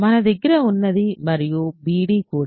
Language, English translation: Telugu, So, what we have is and bd is also